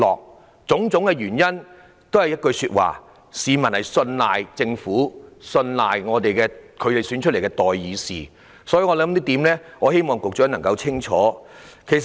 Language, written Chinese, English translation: Cantonese, 凡此種種都說明，市民信賴政府及信賴他們選出來的代議士，我希望局長清楚這一點。, All these show that people have trust in the Government and the representatives elected by them . I would like to make this clear to the Secretary